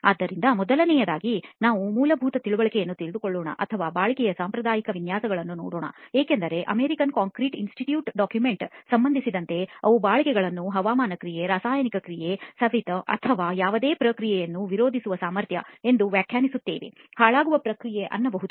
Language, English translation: Kannada, So first of all let us take a basic understanding or look at the conventional definitions of durability because as far as the American concrete institute document is concerned they define durability as the ability to resist weathering action, chemical attack, abrasion, or any other process of deterioration